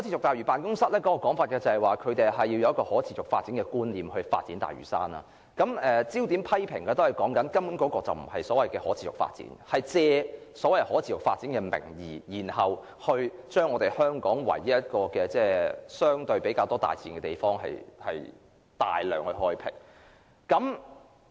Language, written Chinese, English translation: Cantonese, 大嶼辦須基於可持續發展的觀念發展大嶼山，而批評的焦點是，大嶼山的發展根本並非可持續發展，而是借可持續發展的名義，把香港唯一有較多大自然環境的地方大規模開闢。, SLO must base on the sustainable development concept in developing the Lantau Island . And the focus of criticism is that the development of the Lantau Island simply has nothing to do with sustainable development . Rather they want to embark on large - scale development of the only place in Hong Kong with more natural landscapes on the pretext of sustainable development